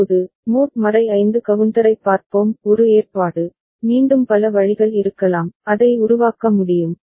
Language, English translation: Tamil, Now, let us look at mod 5 counter one arrangement, again there could be many different way, it can be made